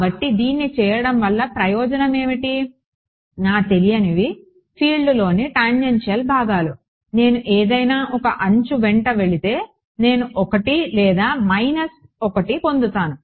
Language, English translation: Telugu, So, I have, so, why does this what is the advantage of doing this my unknowns are the tangential components of the field right, if I go along any 1 of the edges what will I get I will get 1 or minus 1